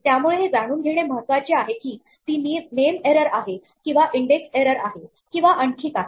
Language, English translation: Marathi, That is why it is important to know whether it is a name error or an index error or something else